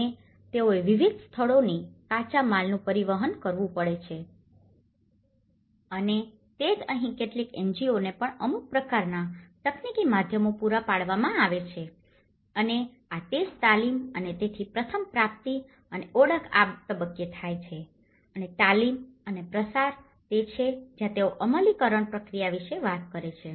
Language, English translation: Gujarati, And they have to transport raw materials from different places, and that is where some NGOs also are provided some kind of technical means and this is where the training and so first of all procurement happens at this stage and identification happens at this stage and the training and dissemination and that is where they talk about the implementation process